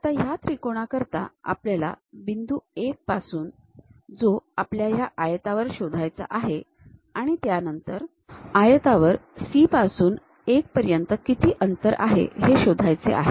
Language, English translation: Marathi, Now, for the triangle from point 1 we have to locate it on the rectangle further what is the distance from C to 1 on that rectangle